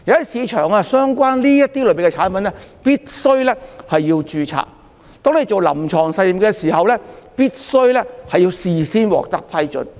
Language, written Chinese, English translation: Cantonese, 市場上相關類別的產品必須註冊，進行臨床實驗亦必須事先獲得批准。, The relevant categories of products on the market must be registered and prior approval is required for clinical trials